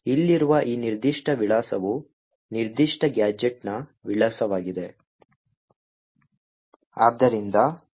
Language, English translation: Kannada, This particular address over here is the address of the particular gadget